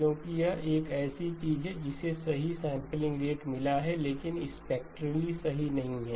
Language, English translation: Hindi, Because it is something which has got the correct sampling rate, but spectrally is not correct